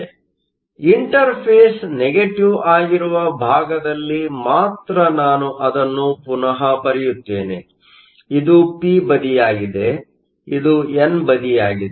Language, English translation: Kannada, So, let me just redraw it only on the negative side that is my interface; this is the p side, this is the n side